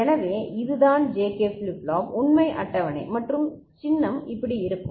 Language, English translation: Tamil, So, this is what is the JK flip flop truth table and the symbol will be like this